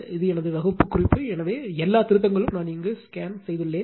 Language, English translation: Tamil, This is my class note, so all corrections made actually same thing I have scanned it here for you right